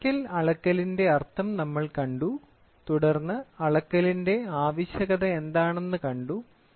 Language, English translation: Malayalam, We have seen the meaning for mechanical measurement and then we have seen what is the need for measurement